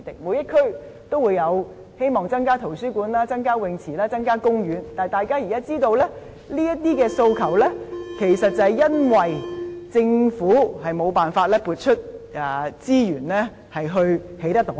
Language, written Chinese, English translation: Cantonese, 每區的市民均希望增設圖書館、游泳池和公園，但大家現在也知道，這些訴求其實是因為政府無法撥出資源來興建有關項目。, All the residents in each district hope that additional libraries swimming pools and parks can be provided but all of us now know that actually these aspirations cannot be answered because the Government cannot allocate resources to provide the relevant items